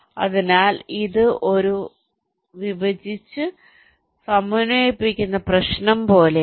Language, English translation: Malayalam, so it is like a divide and concur problem